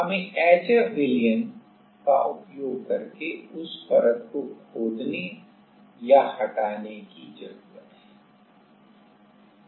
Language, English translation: Hindi, We need to etch or remove that layer using HF solution